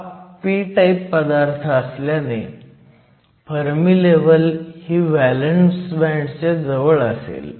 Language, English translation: Marathi, The material is p type, so we know that the Fermi level lies closer to the valence band